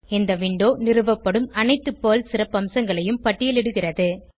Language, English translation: Tamil, This window lists all the PERL features that get installed